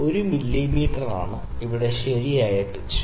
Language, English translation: Malayalam, So, 1 mm is the proper pitch here